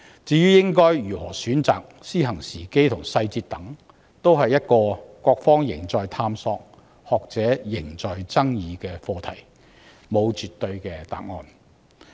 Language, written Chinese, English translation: Cantonese, 至於應該如何選擇，以及實施時間與細節為何，均是各方仍在探索、學者仍在爭議的課題，沒有絕對的答案。, As regards the decision on which system to be adopted as well as the implementation timetable and details they are still subject to the exploration of various parties and the arguments of academics; no definitive answer can be given